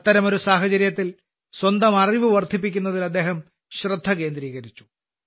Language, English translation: Malayalam, In such a situation, he focused on enhancing his own knowledge